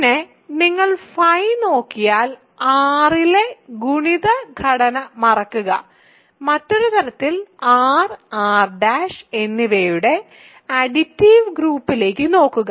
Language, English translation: Malayalam, Then, if you simply look at phi forget the multiplicative structure on R in other words just look at the additive group of R and R prime